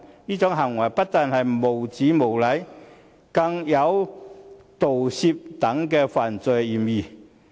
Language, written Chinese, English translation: Cantonese, 這種行為不但是無聊、無禮，更有盜竊等犯罪嫌疑。, His act was not only frivolous and impolite but also suspected of theft